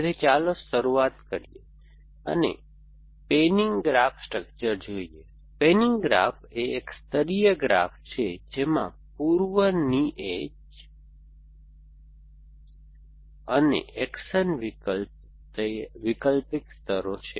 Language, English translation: Gujarati, So, let us start where looking at the panning graph structure, the panning graph is a layered graph with alternate layers of prepositions and actions essentially